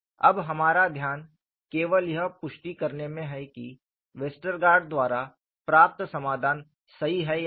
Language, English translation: Hindi, Now our focus is only to re confirm whether the solution obtained by Westergaard is correct or not; and what you will have to look at